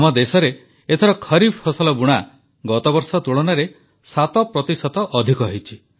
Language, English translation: Odia, This time around in our country, sowing of kharif crops has increased by 7 percent compared to last year